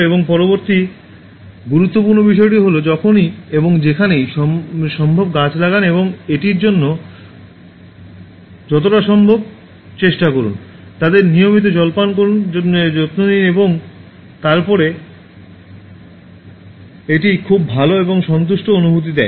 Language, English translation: Bengali, And the next important thing is, plant trees whenever and wherever it is possible and how many it is possible try to do that, take care of them pour water regularly